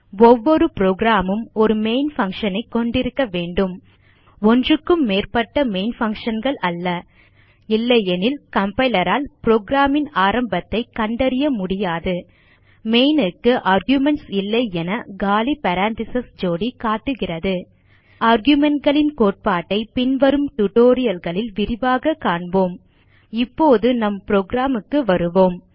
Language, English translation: Tamil, Every programshould have one main function There should NOT be more than one main function Otherwise the compiler cannot locate the beginning of the program The empty pair of parentheses indicates that main has no arguments The concept of arguments will be discussed in detail in the upcoming tutorials